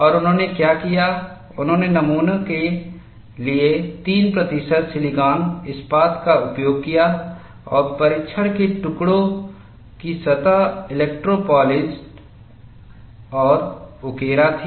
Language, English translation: Hindi, And what they did was, they used 3 percent silicon steel for the specimen, and the surface of the test pieces were electro polished and etched, and this etching is a very special process